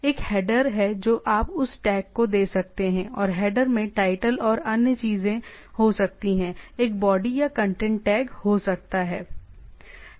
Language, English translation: Hindi, There is a header which you can give head that tag, and header can have title and other things, there can be a body or content tag